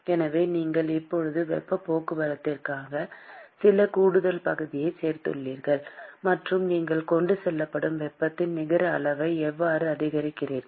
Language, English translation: Tamil, So, you have now added some extra area for heat transport; and that is how you enhance the net amount of heat that is being transported